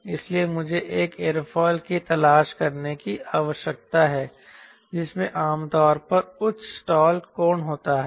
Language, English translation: Hindi, so i need to look for an aerofoil which generally has higher stall angle